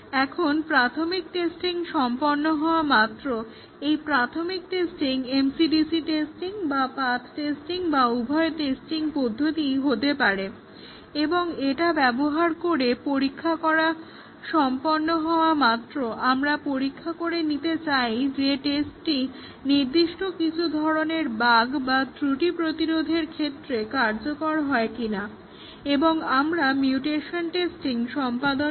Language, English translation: Bengali, Now, once the initial testing is complete, the initial testing may be mc dc testing or may be path testing or may be both and once we have tested using this, we want to check if the test is really effective against certain type of bugs and we carry out mutation testing